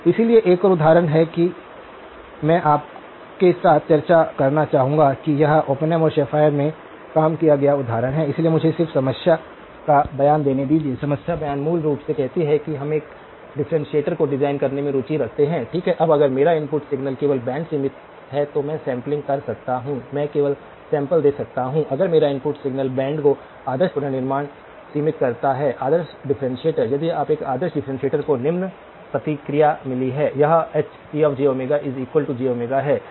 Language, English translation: Hindi, So, there is one more example that I would like to discuss with you this is a worked out example in Oppenheim and Schaefer, so let me just give you the problem statement, the problem statement basically says that we are interested in designing a differentiator, okay now if my input signal is band limited only then I can do sampling, I can only sample that now, if my input signal is band limited the ideal reconstruction; ideal differentiator if you the an ideal differentiator has got the following response